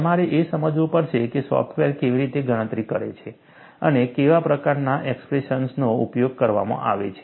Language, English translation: Gujarati, You will have to understand, how the software calculates, what is the kind of expression that is used; it is very very important